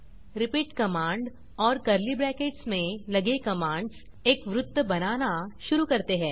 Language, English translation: Hindi, repeat command followed by the code in curly brackets draws a circle